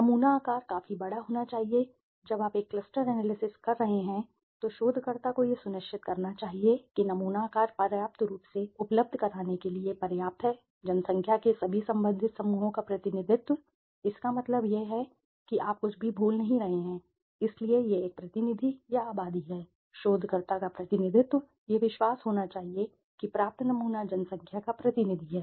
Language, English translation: Hindi, Sample size should be large enough, yes, when you are doing a cluster analysis you should ensure, the researcher should ensure the sample size is large enough to provide sufficient representation of all the relevant groups of the population, that means you are not missing anything right, so it is a representative or the population, the represent the researcher must be confident that the sample the obtain sample is representative of the population, okay